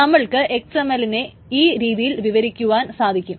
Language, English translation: Malayalam, So you can define XML like this